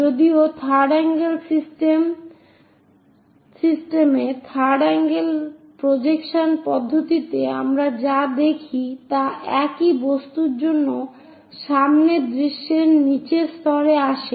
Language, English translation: Bengali, Whereas, in third angle system third angle projection system, what we see is for the same object the front view comes at bottom level